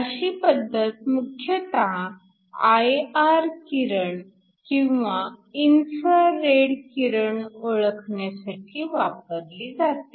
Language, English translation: Marathi, This is mainly used for detecting I R radiation or infrared radiation